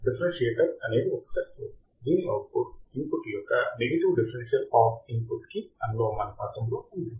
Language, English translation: Telugu, Differentiator is a circuit whose output is proportional whose output is proportional to the negative differential of the input voltage right